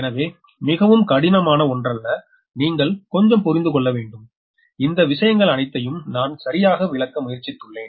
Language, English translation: Tamil, so not very difficult one, just you have to understand little bit and all these things are we have tried to explain, right